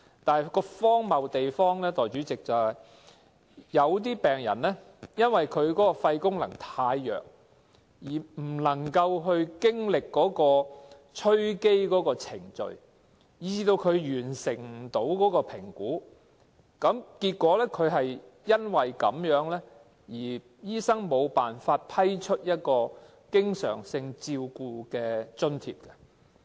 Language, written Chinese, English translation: Cantonese, 但代理主席，荒謬之處是，有些病人因為肺功能太弱而無法進行吹機的程序，以致無法完成評估，醫生亦因而無法向他批出經常性照顧津貼。, But Deputy President it is so ridiculous that certain patients cannot complete the assessment because their lung is simply too weak to exhale rendering doctors unable to approve the allowance